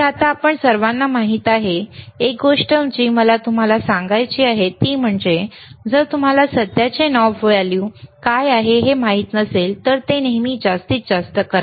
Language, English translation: Marathi, So now, you all know so, one thing that I want to tell you is, if you iif you do not know what should be the current knob value should be, always make it maximum